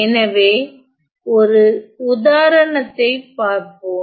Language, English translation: Tamil, So, let us look at one example